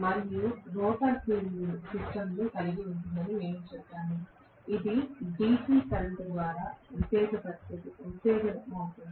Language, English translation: Telugu, And we said that the rotor will have the field system, which will be excited by DC current